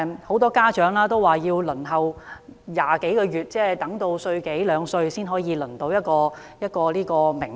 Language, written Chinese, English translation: Cantonese, 很多家長說要輪候20多個月，即嬰兒到了一歲多兩歲才獲得名額。, According to many parents they have to wait for more than 20 months before getting a place by then their babies are almost two years old